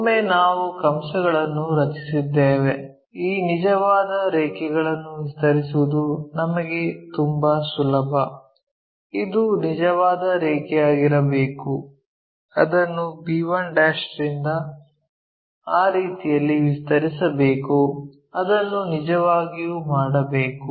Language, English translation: Kannada, Once, we make arcs is quite easy for us to extend this true lines this must be the true line extend it in that way from b1' we have to really do